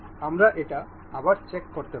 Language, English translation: Bengali, We can check it again